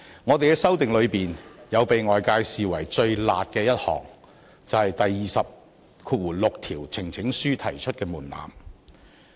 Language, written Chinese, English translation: Cantonese, 我們的修訂中，被外界視為最"辣"的一項，是有關提交呈請書門檻的第206條。, Among our proposed amendments the public considers Rule 206 which concerns the threshold of the number of Members for requesting that a petition be referred the harshest of all